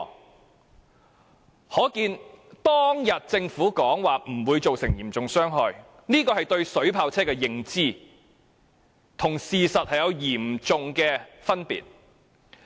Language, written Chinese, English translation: Cantonese, 由此可見，政府當天指水炮車不會造成嚴重傷害，是其對水炮車的認知和事實之間有極大差距所致。, In view of such the enormous disparity between the Governments knowledge of water cannon vehicles and the reality has attributed to its previous claim that water cannon vehicles would not cause serious casualties